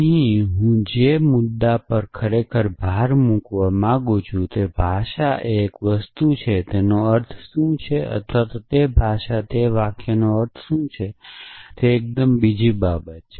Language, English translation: Gujarati, So, the point I want to really emphasis here is that a language is one thing and what it means or what is the semantics of those sentences in that language is totally another thing